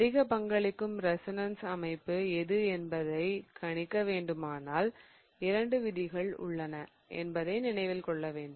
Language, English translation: Tamil, If I have to predict which is the more contributing resonance structure, remember there are a couple of rules that we talked about